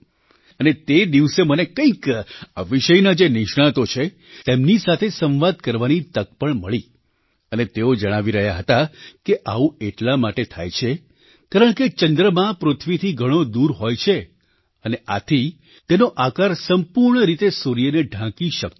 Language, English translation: Gujarati, On that day, I had the opportunity to talk to some experts in this field…and they told me, that this is caused due to the fact that the moon is located far away from the earth and hence, it is unable to completely cover the sun